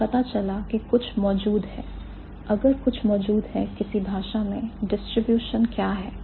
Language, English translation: Hindi, If something exists in one language, what is the distribution